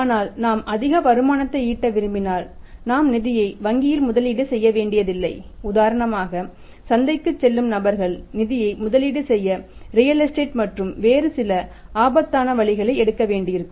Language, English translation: Tamil, But if we want to earn more returns then we will have not to invest the funds in bank and have to invest the finance for example people who to stock market people go to the real estate and some other risk taking investment avenues